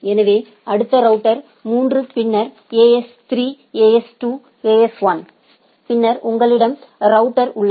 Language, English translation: Tamil, So, next router 3 then AS3 AS2 AS1 and then you have the router